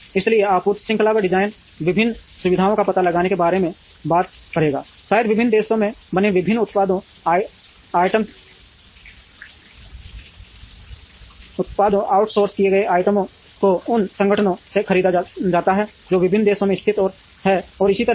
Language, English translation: Hindi, So, design of the supply chain would talk about locating the various facilities, perhaps different products made in different countries, different items outsourced are bought from organizations which are located in different countries and so on